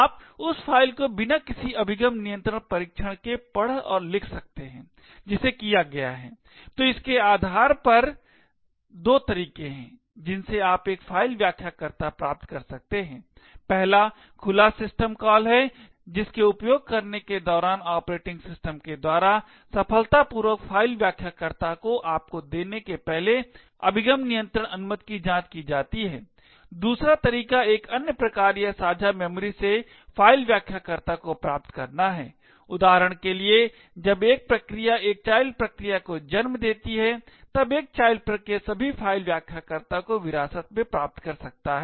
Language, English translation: Hindi, You can read and write to that file without any access control test which are done, so based on this there are two ways in which you can obtain a file descriptor, one is through using the open system call during which access control permissions are checked by the operating system before giving you a successful file descriptor, a second way to obtain a file descriptor is from another process or from shared memory, for example when a process spawns a child process than a child process would can inherit all the file descriptors